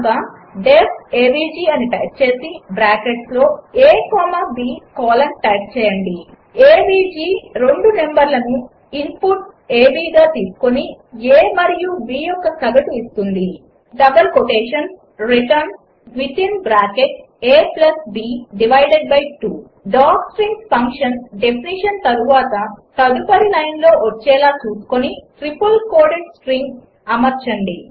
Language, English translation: Telugu, So type def avg within bracket a comma b colon avg takes two numbers as input (a b), and returns the average of a and b return within bracket a+b divided by 2 Note that docstrings are entered in the immediate line after the function definition and put as a triple quoted string